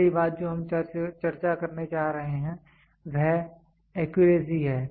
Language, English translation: Hindi, The first thing what we are going to discuss is accuracy